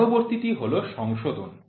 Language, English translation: Bengali, Next is correction